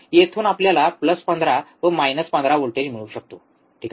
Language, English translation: Marathi, From here we can get plus 15 minus 15, alright